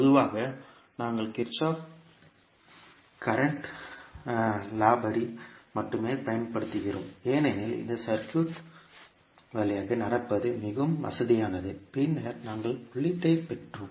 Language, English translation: Tamil, Generally, we use only the Kirchhoff’s current law because it is more convenient in walking through this circuit and then we obtained the input